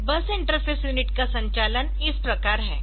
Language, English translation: Hindi, So, this bus interface unit the operation is like this